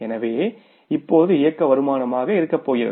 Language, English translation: Tamil, So, it means what is going to be now the operating income